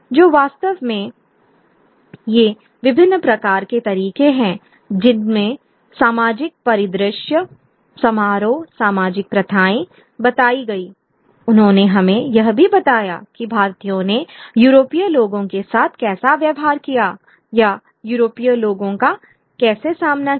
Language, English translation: Hindi, So, really, these are various kinds of ways in which the social landscape, the colonial, the ceremony, social practices, they also give us a sense of how Indians viewed or how Indians behaved with Europeans or encountered Europeans